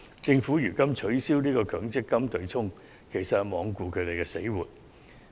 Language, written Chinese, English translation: Cantonese, 政府取消強積金對沖安排，其實是罔顧他們的死活。, The Government has proposed the abolition of the offsetting arrangement under the MPF System in disregard of the fate of these enterprises